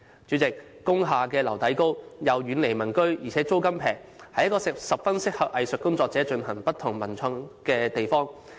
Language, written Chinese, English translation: Cantonese, 主席，工廈樓底高，又遠離民居，而且租金便宜，是十分適合藝術工作者進行不同文藝創作的地方。, President industrial buildings have high ceilings they are far away from residential areas and the rents are cheaper thus they are suitable venues for arts practitioners to conduct all forms of artistic and literary creations